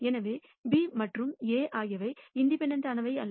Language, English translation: Tamil, So, B and A are not independent